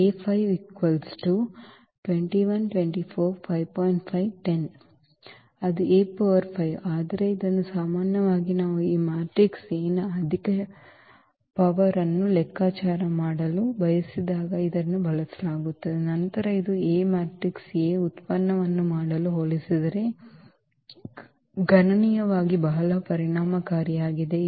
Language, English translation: Kannada, So, that is A power 5, but it is usually used when we really want to have we want to compute a high power of this matrix A then this is computationally very very efficient as compared to doing the product of matrices A